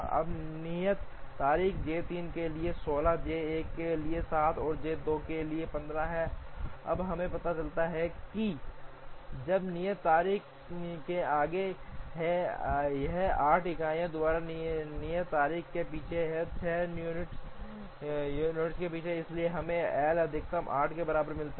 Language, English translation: Hindi, Now, due dates are 16 for J 3, 7 for J 1, and 15 for J 2, now we realize that J 3 is ahead of the due date this is behind the due date by 8 units, this is behind by 6 units, so we get L max equal to 8